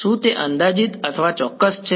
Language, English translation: Gujarati, Is that approximate or exact